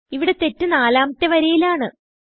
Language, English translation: Malayalam, Here the error is in line number 4